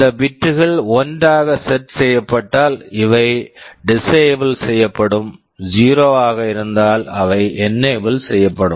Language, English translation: Tamil, If these bits are set to 1, these are disabled; if there is 0, they are enabled